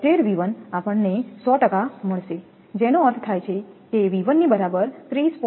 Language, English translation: Gujarati, 276 V 1 is equal to we make 100 percent that mean V 1 will be 30